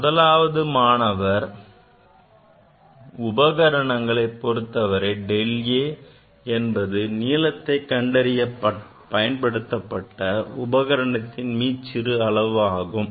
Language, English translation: Tamil, Now, for student 1 del a is basically least count of the instrument used to measure the length